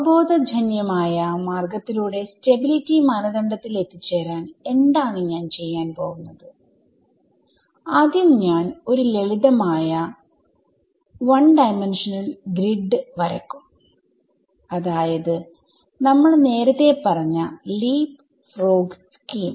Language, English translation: Malayalam, So, for doing this intuitive way of arriving at the stability criteria what I will do is I will draw a simple 1D grid right LeapFrog scheme is what we have been talking about